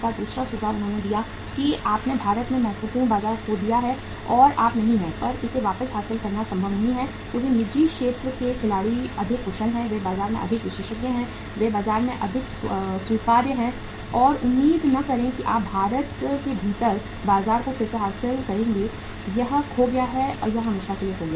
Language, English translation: Hindi, Second suggestion they gave that you have lost significant market in India and you are not, now it is not possible to regain it back because private sector players are more efficient, they are more expert in the market, they are more accepted in the market so do not expect that you will regain the market within India, it is lost, it is lost forever